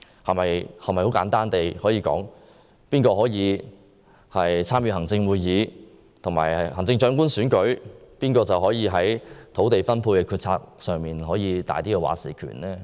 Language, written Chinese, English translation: Cantonese, 我們是否可以簡單地說，誰能加入行政會議和參與行政長官選舉，誰便能在土地分配的決策上有較大"話事權"？, Can we put it simply that whoever joins the Executive Council and whoever involves in the election of the Chief Executive will have greater say on the policy concerning the allocation of land?